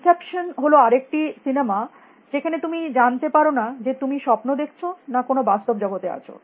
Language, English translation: Bengali, Inception is another film in which you would not know whether you are dreaming or whether you are in some real world